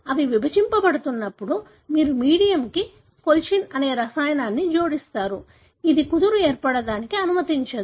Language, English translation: Telugu, When they are dividing you add to the medium a chemical called colchicine which does not allow the spindle to form